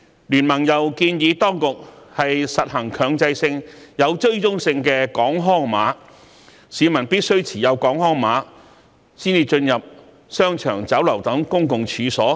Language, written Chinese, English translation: Cantonese, 經民聯建議當局實行強制性、有追蹤性的"港康碼"，規定市民必須持有"港康碼"才能進入商場、酒樓等公共場所。, BPA proposes the introduction of a mandatory Hong Kong Health Code with tracking function and it should be made compulsory for people to produce a Hong Kong Health Code before they are allowed to enter certain public places like shopping malls and restaurants